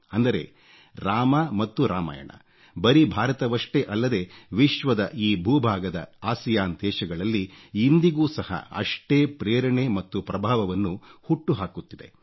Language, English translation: Kannada, This signifies that Ram & Ramayan continues to inspire and have a positive impact, not just in India, but in that part of the world too